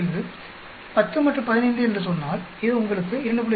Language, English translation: Tamil, 05, 10 and 15 it gives you 2